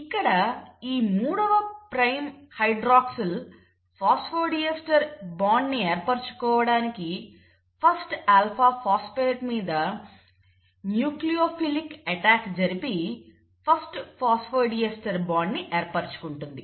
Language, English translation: Telugu, So this 3 prime hydroxyl is then going to form the phosphodiester bond, will have a nucleophilic attack on this, on the first alpha phosphate and hence you get the first phosphodiester bond formed